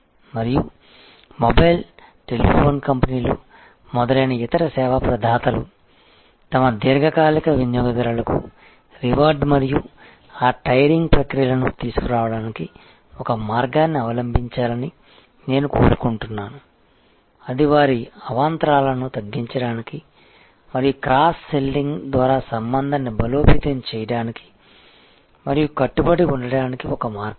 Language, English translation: Telugu, And I wish now other service providers like say mobile, telephony companies, etce will adopt a way to reward their long term customers and bringing those tiering processes and possibly that will be a way to reduce their churn and deepen the relationship via cross selling and bundling